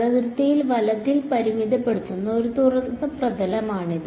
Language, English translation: Malayalam, It is a open surface bounded by this boundary right